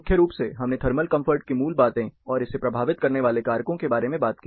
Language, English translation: Hindi, Primarily, we talked about the basics of thermal comfort and factors influencing it